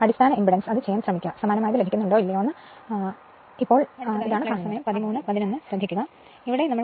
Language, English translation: Malayalam, And base impedance and try to do it and see now what you get whether you gets identical thing or not right so, this is your this thing